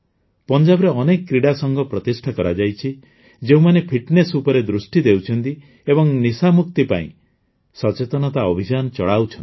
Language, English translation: Odia, Many sports groups have also been formed in Punjab, which are running awareness campaigns to focus on fitness and get rid of drug addiction